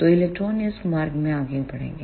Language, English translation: Hindi, So, electron will move in this path